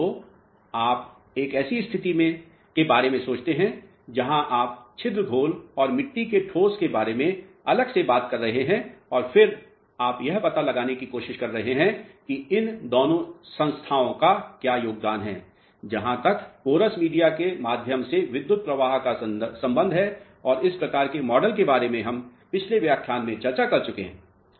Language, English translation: Hindi, So, you think of a situation where you are talking about the pore solution separately and the solid grains of the soils separately and then you are trying to find out what is the contribution of these two entities as far as conduction of current is concerned through the porous media and this type of model we discuss in the previous lecture